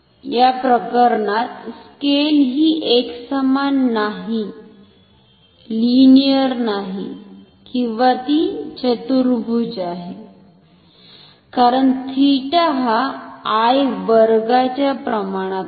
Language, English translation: Marathi, In this case, the scale is non uniform or non linear or quadratic, since theta is proportional to I square